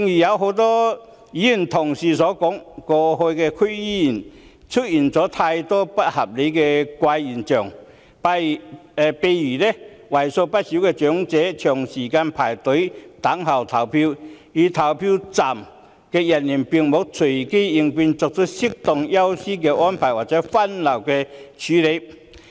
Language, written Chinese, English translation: Cantonese, 正如很多議員同事指出，剛過去的區議會選舉出現很多不合理的怪現象，例如為數不少的長者長時間排隊輪候投票，票站人員卻沒有隨機應變，作出適當安排，讓長者優先投票或分流處理。, As many Honourable colleagues have pointed out there have been a lot of unreasonable and peculiar phenomena during the District Council Election held recently . For instance quite a lot of elderly people had to wait in line for a long time to cast votes but the polling staff did not make appropriate arrangements in the light of the circumstances and give priority to the elderly people to cast votes or adopt streaming arrangements